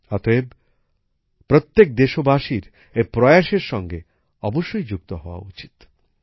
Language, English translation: Bengali, Hence, every countryman must join in these efforts